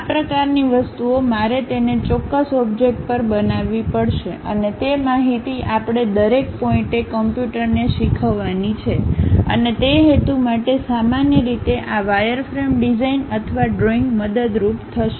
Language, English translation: Gujarati, This kind of things, I have to make it on certain object; and, those information we have to teach it to the computer at every each and every point and for that purpose, usually this wireframe designs or drawings will be helpful